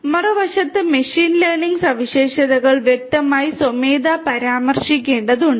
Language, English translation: Malayalam, On the other hand, in machine learning features are to be explicitly manually mentioned